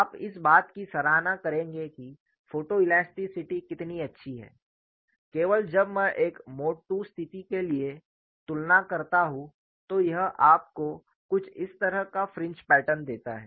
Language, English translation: Hindi, You will appreciate, how photo elasticity is good, only when I take a comparison for a mode 2 situation it gives you a fringe pattern something like this